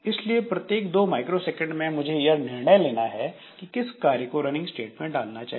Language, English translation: Hindi, So, every 2 microsecond I have to take a decision like which job will be going to the running state